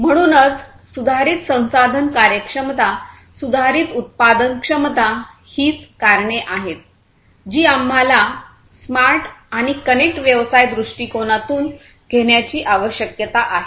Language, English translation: Marathi, So, improved resource efficiency; improved productivity are the reasons why we need to take smart and connected business perspective